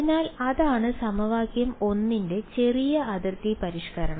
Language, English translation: Malayalam, So, that is the small boundary modification for equation 1